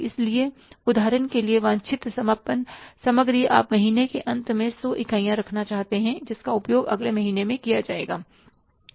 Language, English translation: Hindi, So, desired ending inventory, for example, you want to keep 100 units at the end of the month which will be used the next month